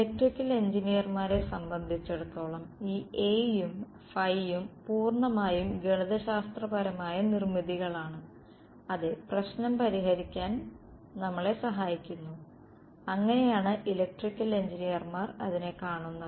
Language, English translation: Malayalam, As far as electrical engineers are concerned this A and phi are purely mathematical constructs which are helping us to solve the problems that is how electrical engineers look at it